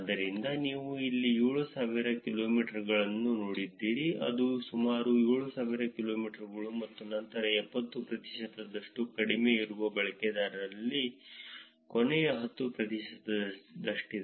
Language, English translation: Kannada, So, if you seen here 7000 kilometers, so it is about the last 10 percent of the users, who are about 7000 kilometers and then very short is about 70 percent